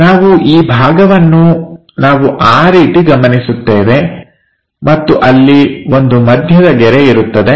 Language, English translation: Kannada, This part we will observe it in that way and there will be a middle line